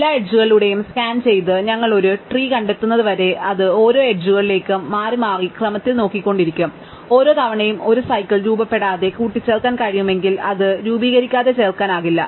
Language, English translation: Malayalam, Scanning through all the edges and until we have found a tree, it is just keep looking at each edge in turn in ascending order of the weight and every time if it can add it without forming a cycle it will add it, if cannot add it without forming a cycle it will drop it